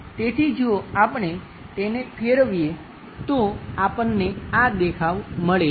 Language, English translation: Gujarati, So, if we are rotating that, we get this view